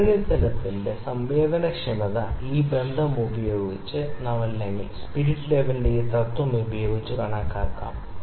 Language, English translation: Malayalam, So, this sensitivity of the instrument can be calculated using this relation or this principle, this is a spirit level